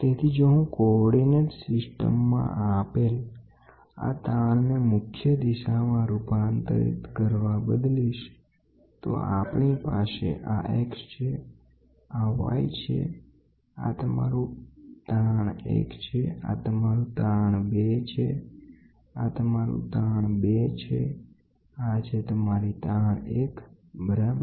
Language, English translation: Gujarati, So, if I changes this strain given in the coordinate system to strain transformed to principal direction, we will have this is x, this is y, this is your strain 1, this is your strain 2, this is your strain 2, this is your strain 1, ok